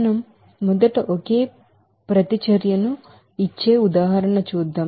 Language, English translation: Telugu, Let us do an example first giving only one reaction